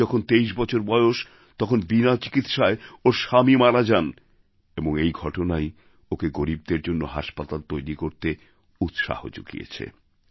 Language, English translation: Bengali, At the age of 23 she lost her husband due to lack of proper treatment, and this incident inspired her to build a hospital for the poor